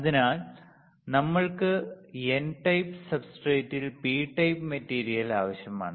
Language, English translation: Malayalam, So, what I asked is we need P type material in N type substrate